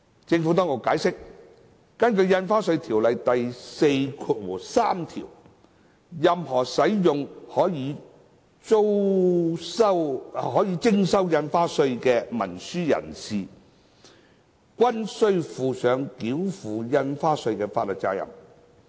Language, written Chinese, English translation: Cantonese, 政府當局解釋，根據《條例》第43條，任何使用可予徵收印花稅的文書的人士，均須負上繳付印花稅的法律責任。, The Administration has explained that according to section 43 of the Ordinance any person who uses an instrument chargeable with stamp duty shall be liable for the payment of the stamp duty